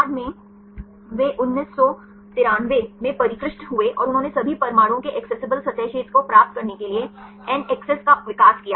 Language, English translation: Hindi, Later on they refined in 1993 and they developed NACCESS to get the accessible surface area of all atoms